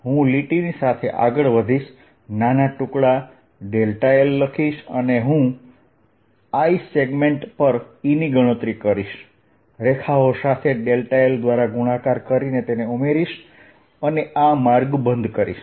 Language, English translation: Gujarati, i'll move along the line, taking small segments, delta l, and calculate e on i'th segment, multiply by delta l along the lines and add it and make this path closed